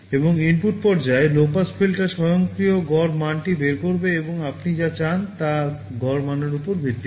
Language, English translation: Bengali, And the low pass filter in the input stage will automatically extract the average value and based on the average value whatever you want will be done